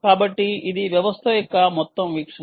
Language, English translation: Telugu, ok, so this is ah overall view of the system